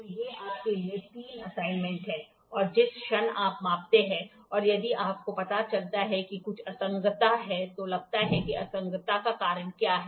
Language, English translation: Hindi, So, these three are assignments for you and moment you measure if you find out there is some inconsistency think what is the reason for inconsistency